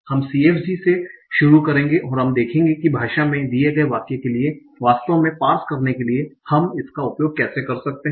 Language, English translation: Hindi, So, in the next lecture, what we will do, we will start from CFGs and we will see how we can use that for actually doing the parsing for a given sentence in the language